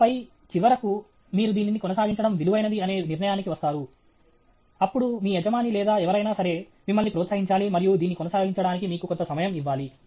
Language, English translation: Telugu, And then, finally, you have come to conclusion that this is worth pursuing; then your boss or who ever it is, must encourage you and give you sometime to pursue this